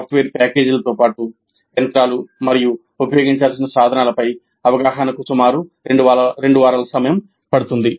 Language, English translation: Telugu, This would include certain exposure to the software packages as well as the machinery and the tools to be used about two weeks